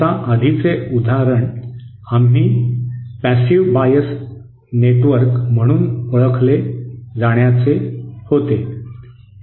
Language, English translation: Marathi, Now the previous example was an example of what we called as passive bias network